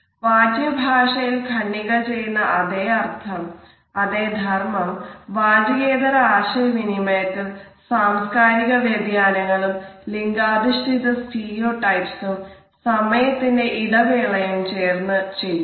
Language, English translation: Malayalam, The paragraph has it is equivalents in nonverbal aspects of communication with the introduction of cultural variations, gender stereotypes as well as certain time gap